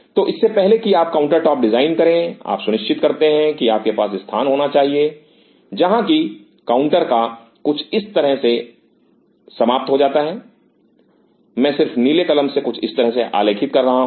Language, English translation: Hindi, So, even before you design the counter top you ensure that you should have location where the counter top become discontinues something like this, I am just kind of you know curving out in blue pen something like this